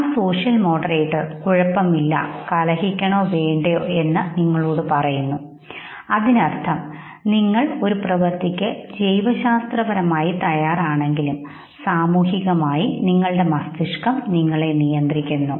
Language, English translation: Malayalam, And that social moderator okay, tells you whether to fight or not, that means that even though you are biologically ready for an act, socially your brain controls you